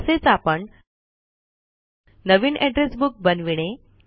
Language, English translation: Marathi, Lets create a new Address Book